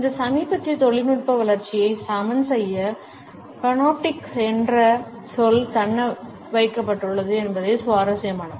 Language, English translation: Tamil, It is interesting that the word panoptic has been retained to level this recent technological development